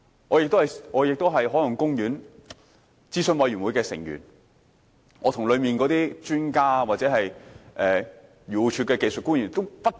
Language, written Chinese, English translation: Cantonese, 我亦是郊野公園及海岸公園委員會的成員，我跟委員會中的專家或漁農自然護理署的技術官員爭辯不斷。, I am also a member of the Country and Marine Parks Board and I have been having endless arguments with experts in the Board or technocrats from the Agriculture Fisheries and Conservation Department